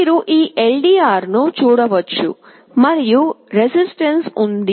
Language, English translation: Telugu, You can see this LDR, and there is a resistance